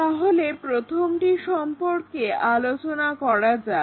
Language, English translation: Bengali, Let us look at the first one